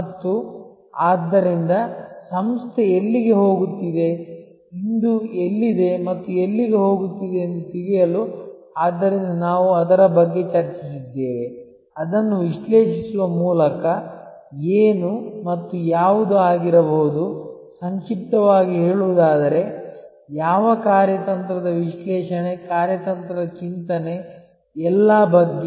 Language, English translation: Kannada, And, so to know where the organization is headed, where it is today and where it is going, so that is what we discussed about, what is and what could be by analyzing it, that is in nutshell, what strategic analysis strategic thinking is all about